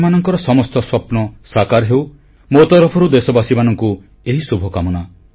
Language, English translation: Odia, May all your dreams come true, my best wishes to you